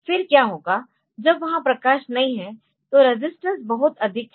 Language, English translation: Hindi, Then what will happen is that when this when light is not there, then resistance is very high